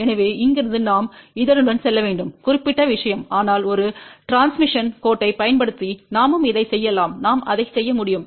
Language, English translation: Tamil, So, from here we have to move along this particular thing , but we can also do the same thing using it transmission line let us see how we can do that